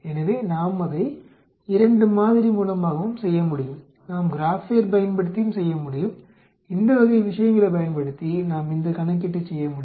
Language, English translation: Tamil, So, we can also do it through 2 sample, we can also do using the Graphpad also, we can perform this calculation using this type of things